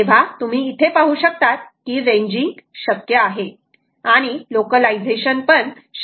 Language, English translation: Marathi, you can see, ranging is possible, localization is possible